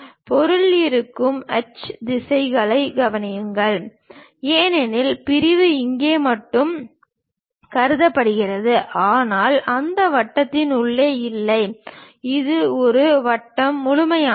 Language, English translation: Tamil, Note the hatch directions where material is present; because section is considered only here, but not inside of that circle, that is a reason circle is complete